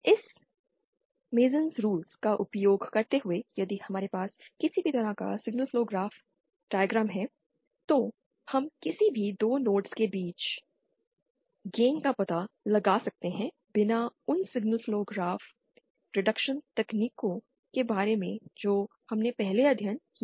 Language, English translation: Hindi, Using this MasonÕs rule, we can, if we have any given signal flow graphs diagram, we can find out the simplified gain between any 2 nodes without going into those signal flow graph reduction techniques that we have studied earlier